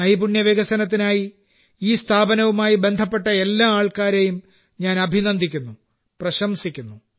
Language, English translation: Malayalam, I congratulate and appreciate all the people associated with this organization for skill development